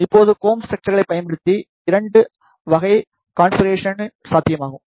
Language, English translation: Tamil, Now using combed structures 2 type of configurations are possible